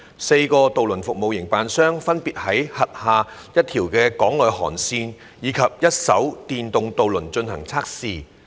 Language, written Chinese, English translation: Cantonese, 四個渡輪服務營辦商分別會在其轄下一條港內航線以一艘電動渡輪進行測試。, Four ferry service operators will conduct trials respectively with one electric ferry on one of their in - harbour routes